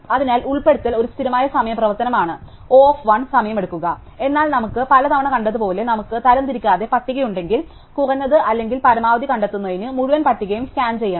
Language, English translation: Malayalam, So, insertion is a constant time operation takes time O1), but as we have seen many times if we have an unsorted list, then we have to scan the entire list to find the minimum or the maximum